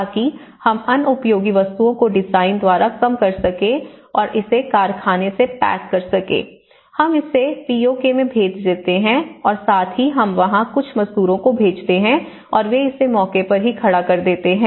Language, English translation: Hindi, So, in a uniform and standardized format, so that we can reduce the waste by design and we pack it from the factory, we ship it to the POK and as well as then we send to few labours there and they erect it on spot